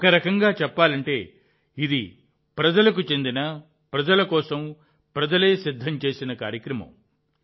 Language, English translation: Telugu, In a way, this is a programme prepared by the people, for the people, through the people